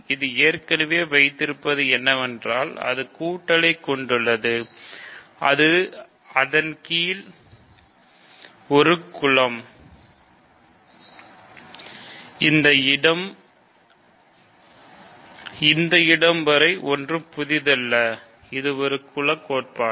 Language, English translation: Tamil, What it already has is, it already has an addition and it is a group under that; till this point it is nothing new, this is exactly group theory